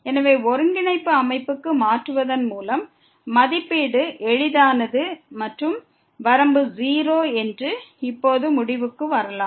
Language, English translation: Tamil, So, by changing to the coordinate system, the evaluation was easy and we could conclude now that the limit is 0